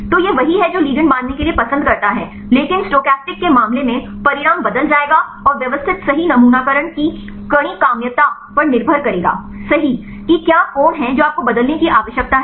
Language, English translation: Hindi, So, this is the one the ligand prefers to bind, but the case of stochastic, outcome will change and the systematic will depend on the granularity of sampling right what is the angle you do you require to change right